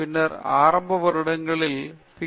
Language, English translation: Tamil, , in your initial years after your Ph